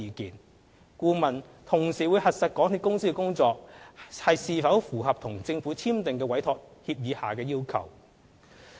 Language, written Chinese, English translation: Cantonese, 此外，監核顧問會同時核實港鐵公司的工作是否符合與政府簽訂的委託協議下的要求。, In addition the MV consultant will verify whether the works of MTRCL complies with the requirements under the Entrustment Agreement signed with the Government